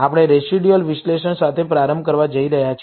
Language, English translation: Gujarati, We are going to start with the residual analysis